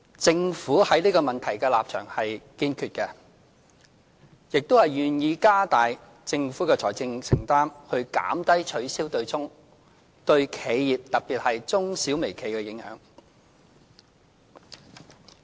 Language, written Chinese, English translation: Cantonese, 政府對這個問題的立場是堅決的，亦願意加大政府的財政承擔，以減低取消對沖對企業，特別是中小微企的影響。, The stance of the Government towards this issue is firm . Moreover it is willing to increase its financial commitment to reduce the impact of the offsetting arrangement on enterprises particularly medium - small - and micro - sized enterprises